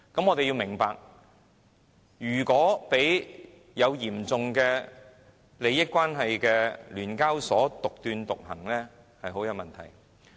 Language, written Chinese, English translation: Cantonese, 我們要明白，如果讓有嚴重利益關係的聯交所獨斷獨行，是很有問題的。, We should understand that SEHK has a serious conflict of interest so if we allow it to have all the say there will be big problems